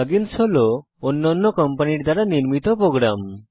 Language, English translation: Bengali, plug ins are program created by other companies